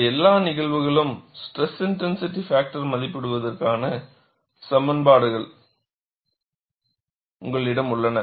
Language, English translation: Tamil, And for all these cases, you have expressions for evaluating stress intensity factor